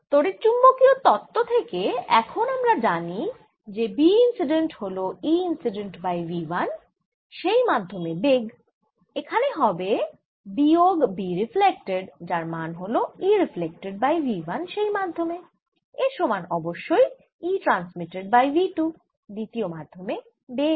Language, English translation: Bengali, but now i know from electromagnetic theory that b incident is nothing but e incident divided by v one in that medium minus b reflected is nothing but e reflected over v one in that medium